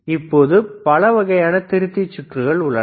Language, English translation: Tamil, Now, there are several types of rectifiers again